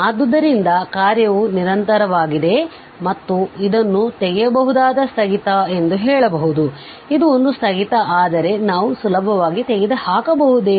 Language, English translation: Kannada, So, then the function becomes continuous and we can then we say that this is a kind of removable discontinuity means, this is a discontinuity, but can we easily removed